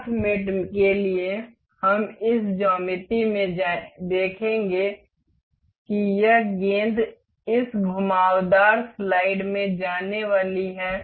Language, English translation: Hindi, For path mate, we we will see in this geometry that this ball is supposed to move into this curved slide